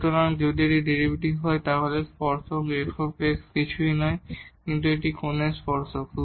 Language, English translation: Bengali, So, if this is the derivative so, the tangent f prime x is nothing, but the tangent of this angle